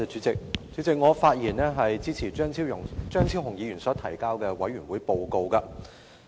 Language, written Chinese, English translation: Cantonese, 主席，我發言支持張超雄議員提交的兒童權利小組委員會報告。, President I rise to speak in support of the Report of the Subcommittee on Childrens Rights presented by Dr Fernando CHEUNG